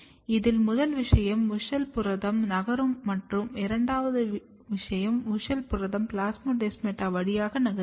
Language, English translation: Tamil, This suggest that first thing is that WUSCHEL protein is moving and second thing is that WUSCHEL protein is actually moving through the plasmodesmata